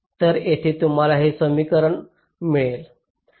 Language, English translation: Marathi, so here you get this equation